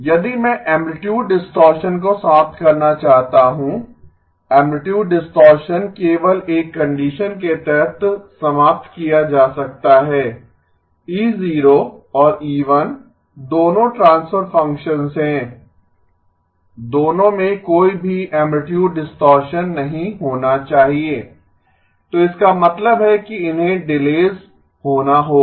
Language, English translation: Hindi, If I want to eliminate amplitude distortion, amplitude distortion can be eliminated only under one condition, E0 and E1 both are transfer functions, both of them should not have any amplitude distortion, so which means that these will have to be delays